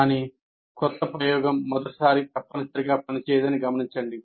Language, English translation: Telugu, But note that new experiment does not necessarily work the first time